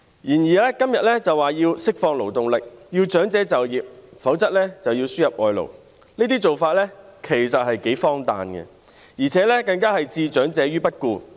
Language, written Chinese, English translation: Cantonese, 然而，今天政府表示要釋放勞動力，要長者就業，否則便要輸入外勞，這些做法其實頗為荒誕，更置長者於不顧。, However now the Government says it wants to release the working potential of the workforce and wants elderly people to take up employment otherwise it has to import labour . These measures are actually quite absurd and show little regard for elderly people